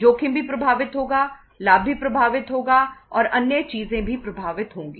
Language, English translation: Hindi, Risk will also be impacted, the profit will also be impacted, and the other things will also be impacted